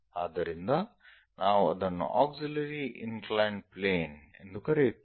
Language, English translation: Kannada, So, we call that one as auxiliary inclined plane